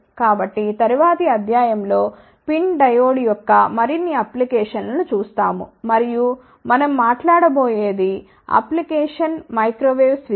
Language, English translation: Telugu, So, in the next lecture we will see more applications of PIN diode and the application which we are going to talk about would be microwave switches